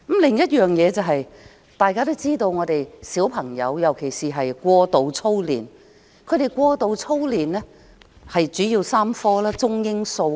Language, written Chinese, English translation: Cantonese, 此外，大家都知道現在的小朋友過度操練，過度操練的主要是中、英、數3科。, Moreover it is a well - known fact that children are drilled excessively at present . The main subjects in which they are drilled are Chinese English and Mathematics